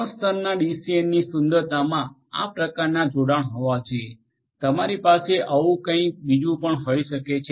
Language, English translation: Gujarati, The beauty of a 3 tier DCN would be to have connections of this sort right you could also have something like this and so on